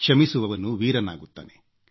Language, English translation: Kannada, The one who forgives is valiant